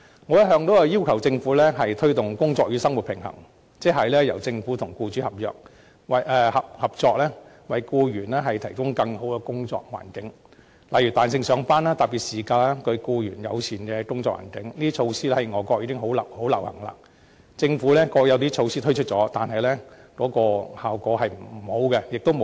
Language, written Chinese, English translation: Cantonese, 我一向要求政府推動"工作與生活平衡"，即是由政府和僱主合作，為僱員提供更好的工作環境，例如彈性上班、特別事假、對僱員友善的工作環境，這些措施在外國已相當流行，政府過去也曾推出一些措施，但效果欠佳，力度亦不足。, I have all along been urging the Government to promote work - life balance that is to join hand with employers to provide a better working environment for employees . Specific measures include implementing flexible working hours granting special casual leave providing an employee - friendly working environment and all these are measures widely adopted in many overseas countries . The Government has also adopted some measures previously for this purpose but they are ineffective and insufficient